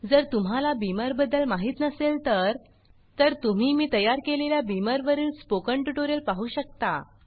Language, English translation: Marathi, In case you dont know about Beamer, you may want to see the spoken tutorial on Beamer that I have created